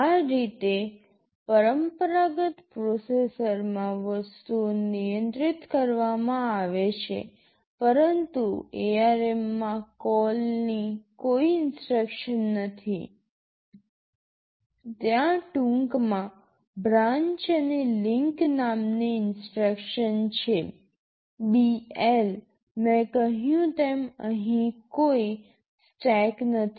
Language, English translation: Gujarati, That is how the things are handled in a conventional processor, but in ARM there is no CALL instruction rather there is an instruction called branch and link, BL in short